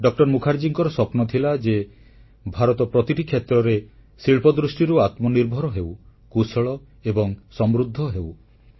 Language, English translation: Odia, Mukherjee's dream was for India to be industrially selfreliant, competent and prosperous in every sphere